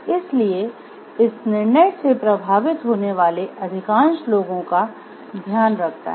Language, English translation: Hindi, So, it takes care of the majority of the people who gets affected by the decision